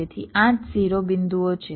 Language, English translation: Gujarati, so there are eight vertices